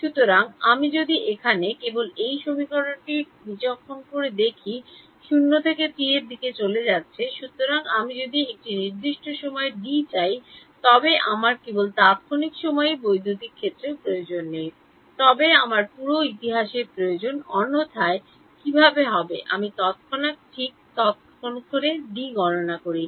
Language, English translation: Bengali, So, if I were to just discretize this equation over here tau is going from 0 to t, so if I want d at a certain time t I need electric field not only at that time instant, but I need the entire history otherwise how will I calculate D at that time instant right